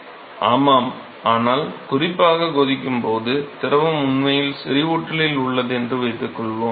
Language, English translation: Tamil, Yeah, but particularly when we are looking at boiling, assume that the fluid is actually at the saturation